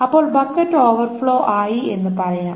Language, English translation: Malayalam, So these are the overflow buckets